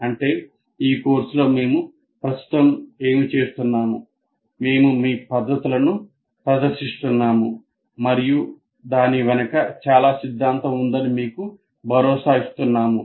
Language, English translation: Telugu, Actually what we are doing right now in this course, that is we are giving you, we are presenting to you a certain methods of doing saying that assuring you there is a lot of theory behind it